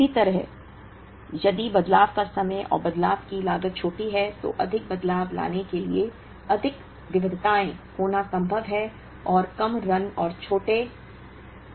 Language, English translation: Hindi, Similarly, if the changeover times and changeover costs are smaller, then it is possible to have more changeovers bringing more variety, and produce at shorter runs and smaller T